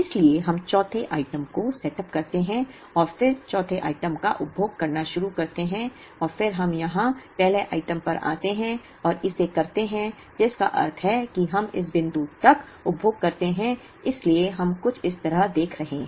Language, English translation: Hindi, So, we setup the fourth item and then start consuming the fourth item and then we come back to the first item here and do it, which means we consume up to this point, so we are looking at something like this